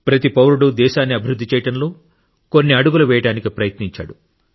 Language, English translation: Telugu, Every citizen has tried to take a few steps forward in advancing the country